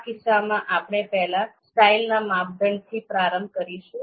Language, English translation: Gujarati, So in this case, we will first start with this style criterion